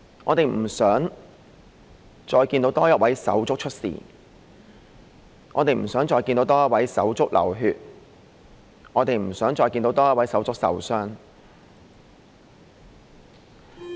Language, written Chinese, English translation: Cantonese, 我們不想再看到多一位手足出事、不想再看到多一位手足流血、亦不想再看到多一位手足受傷。, We do not wish to see anything happen to another buddy; we do not wish to see another buddy bleed nor another buddy get injured